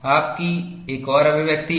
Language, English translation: Hindi, You have another expression